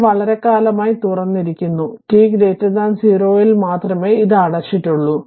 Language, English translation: Malayalam, It has open for a long time and only at t greater than 0 it was closed